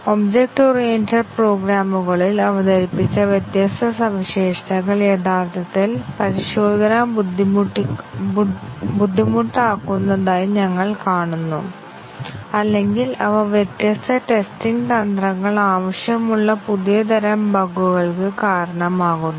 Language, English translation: Malayalam, But we were seeing that the different features introduced in object oriented programs actually make testing either difficult, or they cause new types of bugs requiring different testing strategies